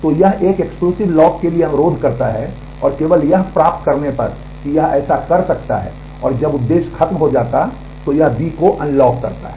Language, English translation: Hindi, So, it requests for an exclusive lock and only on getting that it can do this and, when this is over the purpose is over it unlocks B